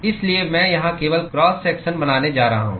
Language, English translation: Hindi, So, I am going to draw only the cross section here